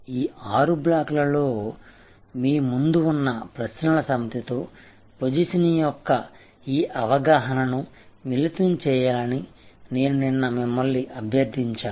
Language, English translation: Telugu, I had requested you yesterday that you combine this understanding of positioning with these sets of questions in front of you in these six blocks